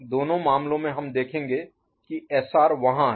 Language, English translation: Hindi, In both the cases, we will see SR is there, ok